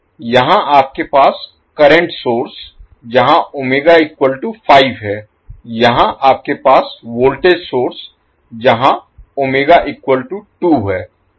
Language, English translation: Hindi, Here you have current source Omega is 5, here you have voltage source where Omega is 2